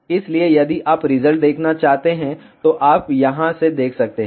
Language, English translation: Hindi, So, in between if you want to see the results, you can see from here